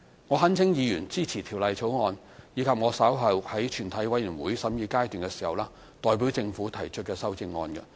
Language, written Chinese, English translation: Cantonese, 我懇請議員支持《條例草案》，以及我稍後在全體委員會審議時代表政府提出的修正案。, I implore Members to support the Bill and the amendments that I shall later propose on behalf of the Government in committee of the whole Council